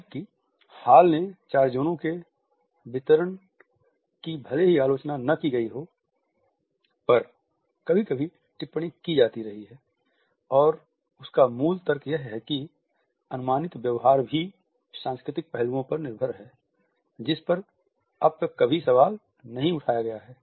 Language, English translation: Hindi, Whereas Hall’s distribution of four zones sometimes has been commented on if not actually criticized, his basic supposition that proxemic behavior is also dependent on the cultural aspects has never been questioned so far